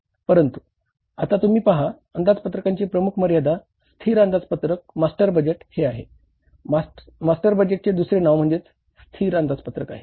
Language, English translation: Marathi, But now you see the major limitation of this budget, static budget, master budget is the other name of the master budget is the static budget